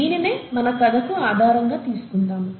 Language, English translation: Telugu, Let us use this as the basis for our story